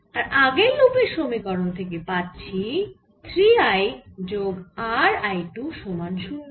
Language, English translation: Bengali, and from the previous equation in loop one, this three, i plus r i two is equal to zero